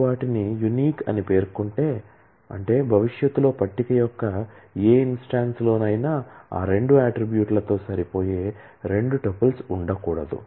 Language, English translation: Telugu, If you specify them to be unique; that means, that in any instance of the table in future that cannot be two tuples which match in all of those attribute